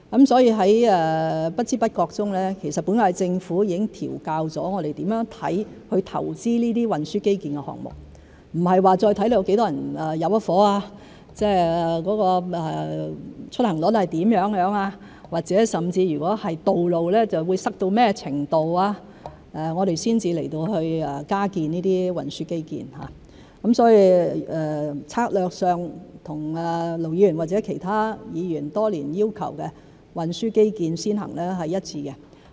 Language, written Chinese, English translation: Cantonese, 在不知不覺中，本屆政府已經調校了我們如何看待投資這些運輸基建的項目，不再是視乎有多少人入伙、出行率是如何，或者是道路會擠塞到甚麼程度，我們才加建運輸基建，所以在策略上和盧議員或其他議員多年要求的運輸基建先行是一致的。, Almost unnoticeably the current term Government has adjusted how we look at investment in these transport infrastructure projects . We no longer look at the number of people who are moving in or the commuting volume or to what extent congestion is expected to occur on roads before we take forward additional transport infrastructure projects . Therefore our strategy is consistent with the demand put up by Ir Dr LO or other Members over the years that priority should be accorded to transport infrastructure